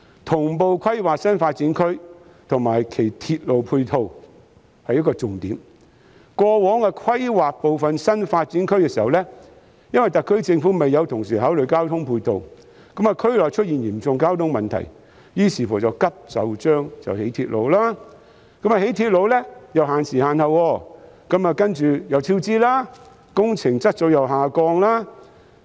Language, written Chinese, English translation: Cantonese, 同步規劃新發展區及其鐵路配套是一個重點，過往規劃部分新發展區時，因為特區政府未有同時考慮交通配套，令區內出現嚴重交通問題，於是再急就章興建鐵路，但興建鐵路卻要限時限刻，接着出現超支，工程質素又下降。, Planning new development areas in tandem with their ancillary railway facilities is a crucial point . In planning some of the new development areas in the past since the Special Administrative Region Government did not concurrently consider ancillary transport facilities serious traffic problems arose in such areas and then railways were constructed in a rush . But the construction of railways was subjected to time constraints followed by cost overruns and a decline in works quality